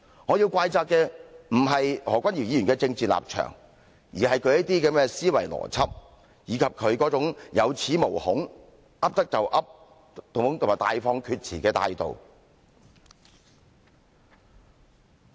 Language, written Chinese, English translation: Cantonese, 我要怪責的，不是何君堯議員的政治立場，而是他的思維邏輯，以及他這種有恃無恐，"噏得就噏"和大放厥詞的態度。, I do not blame Dr Junius HO for his political stance but instead his thinking and logic as well as his attitude of making irresponsible and impudent remarks in reliance on his strong backing